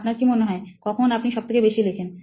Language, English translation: Bengali, When do you think you write the most